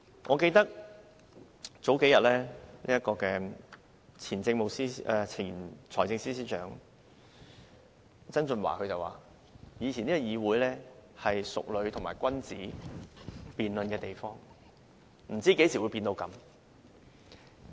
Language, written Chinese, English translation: Cantonese, 我記得數天前，前財政司司長曾俊華說以前的議會是淑女和君子辯論的地方，不知何時變成這樣。, I recall that a few days ago the former Financial Secretary said that in the past the legislature was a place where ladies and gentlemen engaged in debates and he did not know when the legislature had changed to the present condition